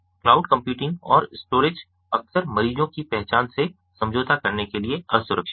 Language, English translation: Hindi, the cloud computing and storage is often vulnerable to compromise of a patients identity